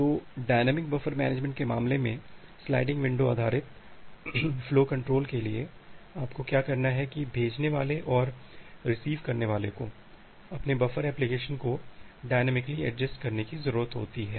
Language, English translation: Hindi, So, in case of dynamic buffer management for window based flow control for sliding window based flow control, what you have to do that the sender and the receiver needs to dynamically adjust their buffer allocation